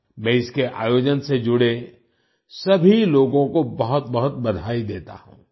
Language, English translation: Hindi, I congratulate all the people associated with its organization